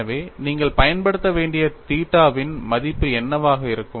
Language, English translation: Tamil, So, what would be the value of theta that you have to use